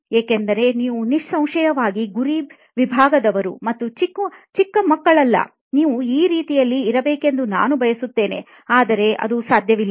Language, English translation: Kannada, because you are obviously not from the target segment and not children anymore, right I would like you to be but now you are not